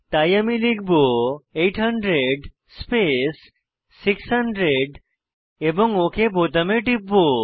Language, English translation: Bengali, So I will type 800 space 600 and click on OK button